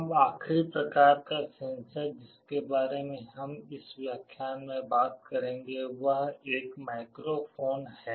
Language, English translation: Hindi, Now, the last kind of sensor that we shall be talking about in this lecture is a microphone